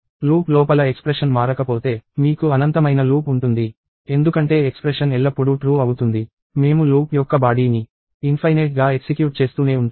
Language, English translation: Telugu, If the expression does not change inside the loop, you would end up within infinite loop, because the expression would always be true; we will keep executing the body of the loop infinitely